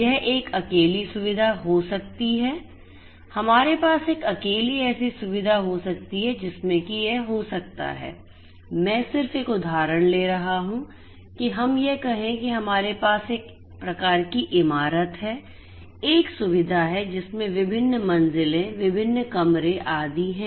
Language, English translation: Hindi, It could be a single facility single facility we could have a single facility where we could have some kind of I am just taking an example let us say that we have some kind of a building a facility right having different floors different floors, different rooms, etcetera and so on